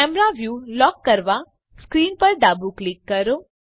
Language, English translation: Gujarati, Left click on the screen to lock the camera view